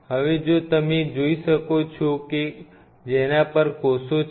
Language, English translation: Gujarati, Now if you’re this is stuff on which the cells are